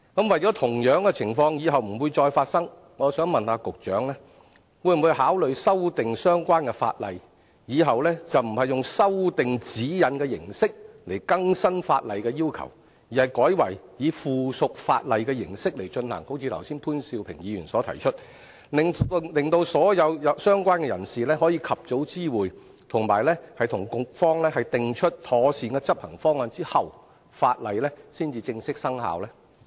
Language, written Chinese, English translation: Cantonese, 為了避免日後再次發生同樣情況，我想問局長會否考慮修訂相關法例，使日後不用透過修訂《指引》的形式來更新法例要求，而是改為以附屬法例的形式來進行，好像潘兆平議員剛才所提出，令所有相關人士可以在及早獲知會的情況下，以及與局方訂出妥善的執行方案之後，法例才正式生效呢？, As a result owners of goods vehicles fitted with tail lift have inadvertently broken the law . In order to avoid similar cases from happening again may I ask the Secretary whether he will consider amending the ordinance concerned so that any new legal requirements in future can be made in the form of subsidiary legislation as Mr POON suggested just now rather than by revising GN thereby making it possible for all stakeholders to be informed of the changes early and for the Government to formulate a sound implementation plan before the subsidiary legislation takes effect?